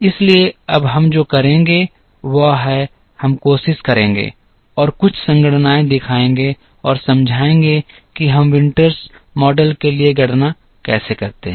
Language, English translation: Hindi, So, what we will do now is we will try and show some computations and explain how we do the calculations for the Winters model